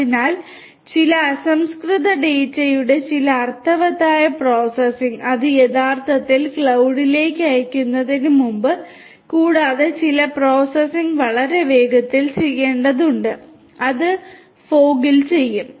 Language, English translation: Malayalam, So, only some meaningful processing of some raw data, before it is actually sent to the cloud and also some processing, that has to be done quite fast will be done at the fog